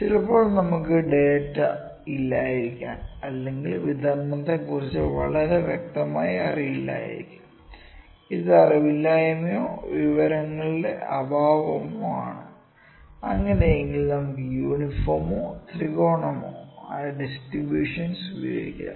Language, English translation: Malayalam, Then sometimes we do not have a plenty of data, we do not we are not very clear about distribution we called it is a lack of knowledge or lack of information, then in that case we can use uniform or triangular distributions